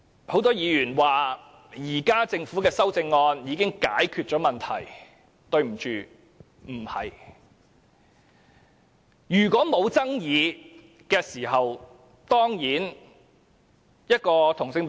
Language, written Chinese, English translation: Cantonese, 很多議員說政府現時的修正案已經解決問題，但對不起，事實並非如此。, Many Members said that the amendments proposed by the Government now have already resolved the problem but sorry this is not true in reality